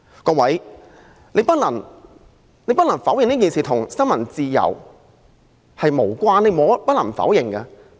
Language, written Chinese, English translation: Cantonese, 各位，我們不能否認此事與新聞自由有關。, Honourable Members we cannot deny that this incident is related to freedom of the press